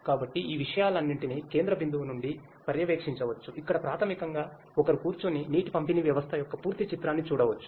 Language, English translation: Telugu, So, all of these things can be monitored from a central point where basically one can sit and monitor have a look at the complete picture of the water distribution system